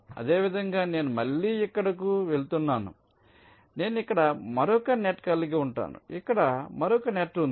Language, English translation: Telugu, similarly, if here i have this going here again, so i will be having another net out here, there will be another net here